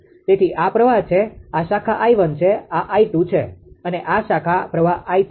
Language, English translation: Gujarati, So, this is the this is the current; this is the current this branch is i 1; this is it i 2 right and this branch current is i 3 right